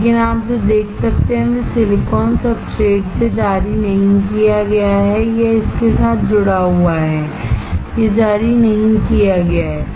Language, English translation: Hindi, But what you can see it has not been released from the silicon substrate this is attached to it, it is not released